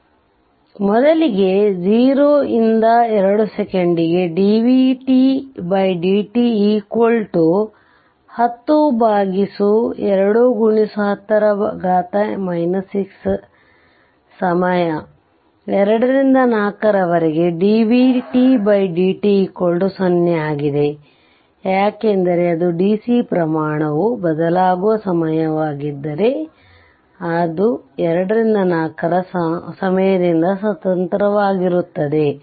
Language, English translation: Kannada, And in between 2 to 4 second dvt by dt 0, because it is at the time it is a it is your what you call if your dc quantity right it is a time varying, it is independent of time 2 to 4